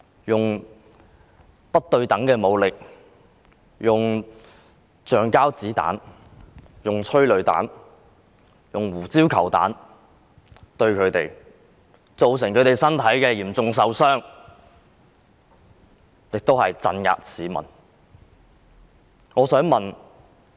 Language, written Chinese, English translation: Cantonese, 用不對等的武力，用橡膠子彈、催淚彈、胡椒球彈對待他們，造成他們身體嚴重受傷，以及鎮壓市民。, The Government has treated them with asymmetric force of rubber bullets tear gas rounds and pepper balls to inflict serious bodily harm . The Government has also suppressed members of the public